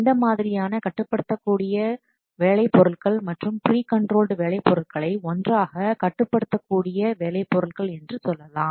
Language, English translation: Tamil, These controllable work products and pre controlled work products together they are known as controllable work products